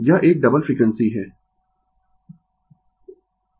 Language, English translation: Hindi, It is a double frequency